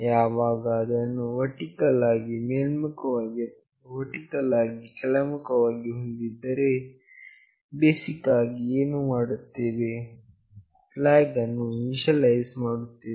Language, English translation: Kannada, Whenever we have either it is vertically up or it is vertically down, what is basically done is that we are initializing a flag